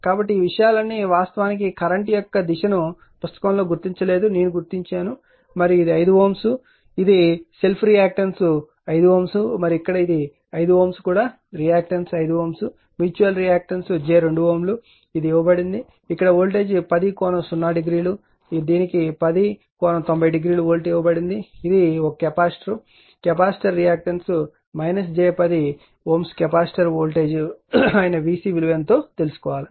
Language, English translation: Telugu, So, all these things actually this your direction of the current was not marked in the book this I have made it and this say this is 5 ohm and your self area reactance you have reactance is also 5 ohm and here also 5 ohm here also reactance 5 ohm mutual reactance is j 2 ohm, it is given and here voltage is given 10 angle 0 degree, here it is given 10 angle 90 degree volt, 12 it is not one capacitor is there capacitor reactance is minus j 10 ohm, you have to find out voltage across the capacitor that is V c is how much